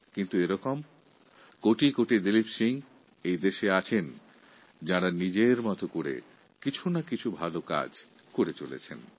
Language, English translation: Bengali, But there are thousands of people like Dileep Singh who are doing something good for the nation on their own